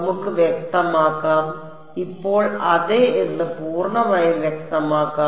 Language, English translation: Malayalam, Let us clear let us make it fully clear now yes